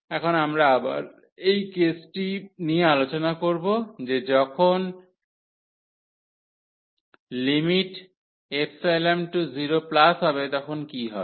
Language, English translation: Bengali, Now, we will again discuss the case that what will happen when epsilon goes to 0